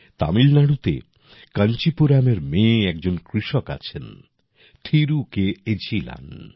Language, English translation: Bengali, In Tamil Nadu, there is a farmer in Kancheepuram, Thiru K